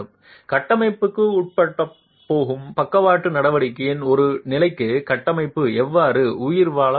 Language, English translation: Tamil, How is the structure going to survive for a level of lateral action that the structure is going to be subjected to